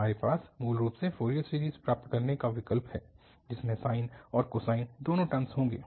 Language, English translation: Hindi, We have basically a choice of getting the Fourier series which will have sine and cosine both the terms